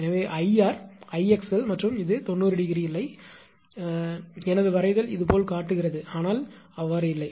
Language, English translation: Tamil, So, I r I x n and this is never 90 degree right because of my drawing it shows like this but not right